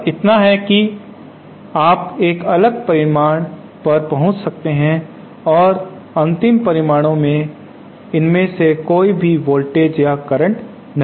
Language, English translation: Hindi, Just so that you can arrive at a different result the final results will not have any of these voltage or current